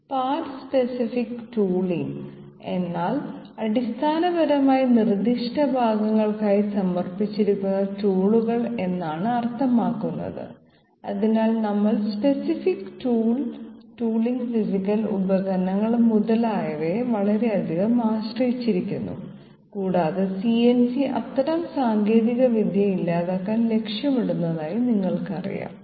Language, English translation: Malayalam, Part specific tooling means basically tools which are dedicated to specific parts and that way we are very much depended upon special tooling physical devices, etc and CNC is you know targeted towards elimination of such technology, thank you